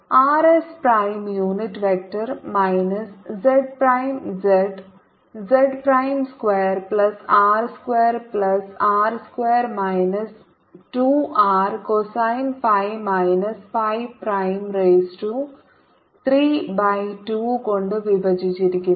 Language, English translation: Malayalam, pi times phi prime cross r s minus r s prime, divided by z prime square plus r square plus r square minus two r r, cosine of phi minus phi prime, raise to three by two